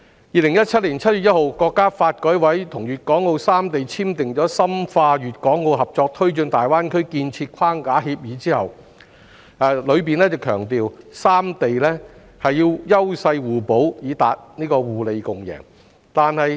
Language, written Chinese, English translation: Cantonese, 2017年7月1日，國家發改委與粵港澳三地簽訂的《深化粵港澳合作推進大灣區建設框架協議》中強調三地要優勢互補，以達互利共贏。, On 1 July 2017 the National Development and Reform Commission signed the Framework Agreement on Deepening Guangdong - Hong Kong - Macao Cooperation in the Development of the Greater Bay Area emphasizing that the three places should complement each others strengths to achieve mutual benefits and a win - win situation